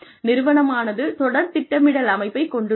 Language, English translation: Tamil, The organization has a system of succession planning